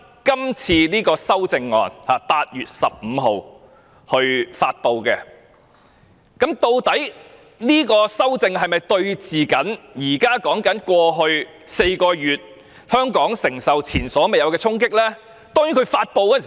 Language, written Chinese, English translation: Cantonese, 今次的修正案，是基於8月15日發布的紓困措施，這是否與香港過去4個月所承受的前所未有衝擊有關呢？, These amendments are based on the relief measures announced on 15 August . Are they related to the unprecedented blows that Hong Kong sustained during the past four months?